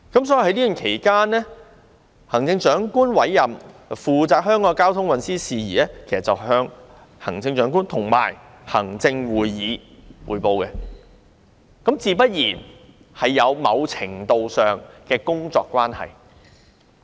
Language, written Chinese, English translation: Cantonese, 所以，在這段期間，她會向行政長官會同行政會議匯報香港的交通運輸事宜，他們自然有某程度的工作關係。, So during this period of time she would report transport matters to the Chief Executive in Council and Ms CHENG and Mr LEUNG naturally would have a certain degree of a working relationship